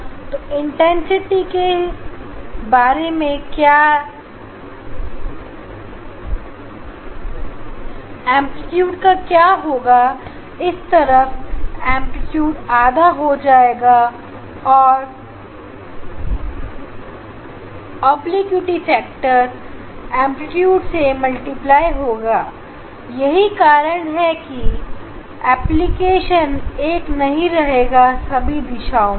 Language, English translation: Hindi, this side amplitude will be half of that this obliquity factor is multiplied with the amplitude and that is why amplitude will not be same in all directions